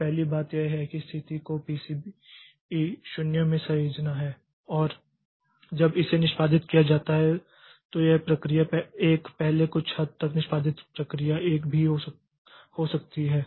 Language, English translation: Hindi, So, first thing that it has to do is the save state into PCB 0 and this process 1 when it is executing maybe the process 1 executed to some extent previously also